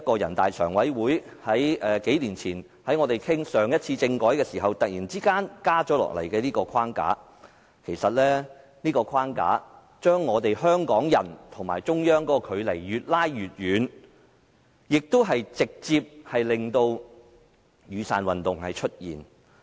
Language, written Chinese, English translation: Cantonese, 我們數年前討論政改的時候，人大常委會突然加插這個框架，把香港人與中央的距離越拉越遠，亦直接令到"雨傘運動"出現。, During our discussion on constitutional reform a few years ago this framework was imposed suddenly by the Standing Committee of the National Peoples Congress NPCSC which has further widened the gap between Hong Kong people and the central authorities thus leading directly to the emergence of the Umbrella Movement